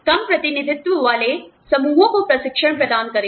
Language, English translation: Hindi, Provide training to under represented groups